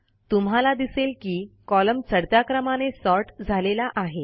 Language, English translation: Marathi, You see that the column gets sorted in the ascending order